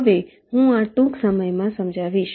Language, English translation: Gujarati, this i shall be illustrating very shortly